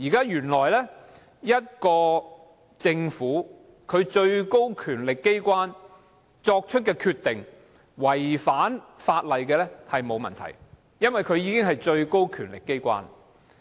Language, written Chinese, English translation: Cantonese, 原來政府的最高權力機關作出的決定違反法例是沒有問題的，因為它是最高權力機關。, It transpires that it is fine for the decision made by the highest power organ of the Government to contravene the law just because it is the highest power organ